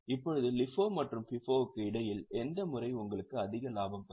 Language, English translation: Tamil, Now, between LIFO and FIPO, which method will give you more profit